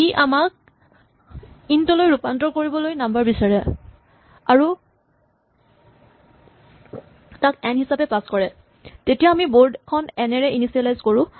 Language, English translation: Assamese, So, it asks for us number converts it to an int and passes it as N then we will initialize the board with the number N